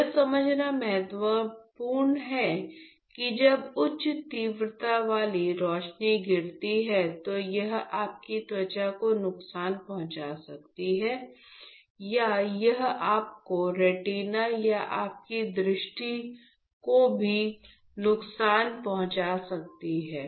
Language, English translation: Hindi, When you are it is again it is important to understand that when high intensity light falls it could harm your skin or it could even damage your retina or your eyesight